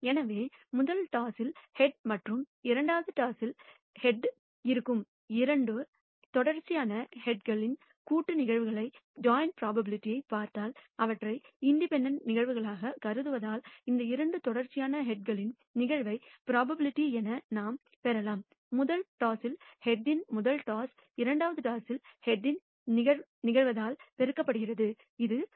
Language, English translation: Tamil, So, if we look at the joint probability of two successive heads which is the head in the first toss and the head in the second toss, because we consider them as independent events we can obtain the probability of this two successive heads as a probability in the first toss of head in the first toss multiplied by the probability of head in the second toss which is 0